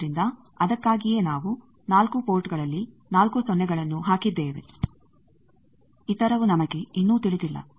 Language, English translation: Kannada, So, that is why in the 4 ports we have put the 4 0's other we still do not know